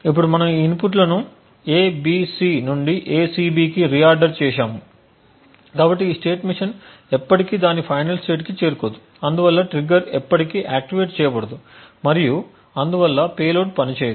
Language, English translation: Telugu, Now since we have reordered these inputs from A B C to A C B this state machine will never reach its final state and therefore the trigger will never get activated and therefore the payload will be non functional